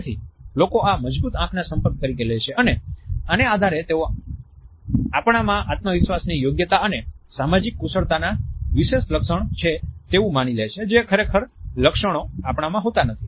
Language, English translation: Gujarati, So, people would perceive this as strong eye contact and on the basis of this they would also attribute competence confidence and social skills to us even though we might not actually be possessing it